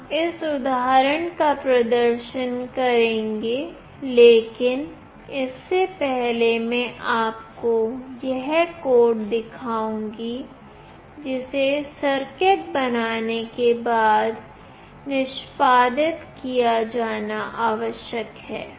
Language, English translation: Hindi, We will be demonstrating this example, but before that I will be showing you the code that is required to be executed after making the circuit